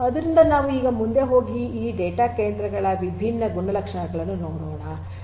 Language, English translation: Kannada, So, let us now go ahead and go further and look at the different characteristics of these data centres